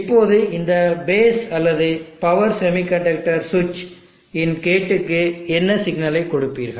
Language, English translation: Tamil, Now what signal do you give to base or gate of this power semiconductor switch